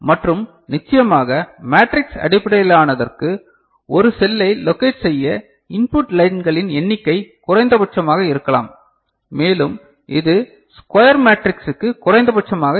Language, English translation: Tamil, And memory addressing can be linear or matrix based and of course, for matrix based the number of lines input lines to locate a cell can be minimum and it is minimum for square matrix ok